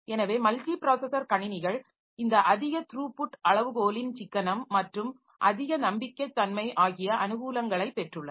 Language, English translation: Tamil, So, multiprocessor systems, they have got the advantage of this increased throughput, economy of scale and increased reliability